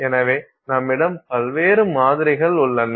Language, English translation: Tamil, So, you have various samples